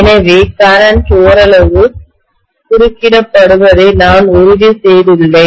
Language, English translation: Tamil, So I have essentially made sure that the current is somewhat interrupted